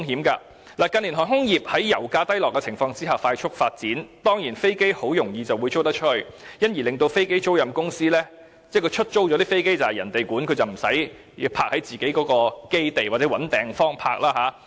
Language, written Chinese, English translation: Cantonese, 近年航空業在油價低落的情況下快速發展，而飛機租賃公司在飛機出租後，便無須負責飛機的管理，而飛機亦不會停泊在公司的基地或須另覓地方停泊。, In recent years the aviation industry has developed rapidly due to a drop in oil prices . While the leased aircrafts are no longer managed by the aircraft lessors they will not be parked in the base of the relevant company but somewhere else